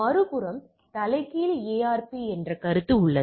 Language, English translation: Tamil, On the other hand, there is a concept of reverse ARP RARP all right